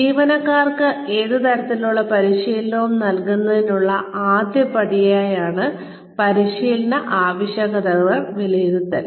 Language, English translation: Malayalam, Training needs assessment is the first step, towards delivering, any kind of training, to the employees